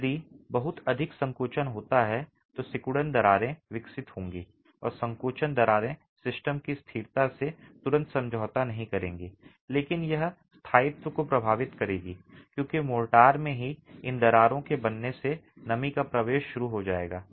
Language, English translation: Hindi, So this is a fundamental problem if there is too much of shrinkage, shrinkage cracks will develop and shrinkage cracks would not probably immediately compromise the stability of the system but it will affect durability because moisture penetration will commence with formation of these cracks in the motor itself